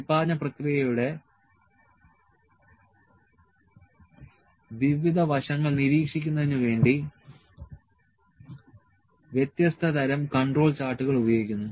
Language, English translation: Malayalam, Different types of control charts are used to monitor different aspects of production process